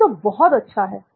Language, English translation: Hindi, This is great